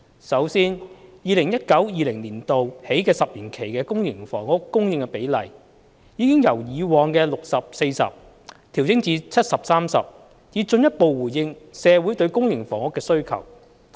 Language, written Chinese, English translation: Cantonese, 首先 ，2019-2020 年度起10年期的公私營房屋供應比例，已由以往的 60：40 調整至 70：30， 以進一步回應社會對公營房屋的需求。, First of all the publicprivate split of new housing supply has been revised from 60col40 to 70col30 for the ten - year period starting from 2019 - 2020 so as to further address the demand for public housing in the community